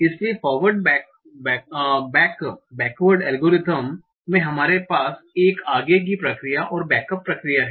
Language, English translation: Hindi, So in forward backward algorithm we have a forward procedure and a backward procedure